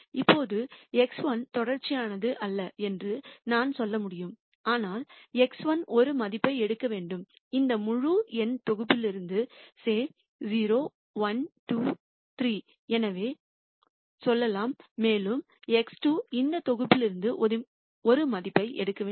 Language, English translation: Tamil, Now, I could say X 1 is not continuous, but X 1 has to take a value let us say from this integer set mu 0 1 2 3 so on, and X 2 maybe has to also take a value in this set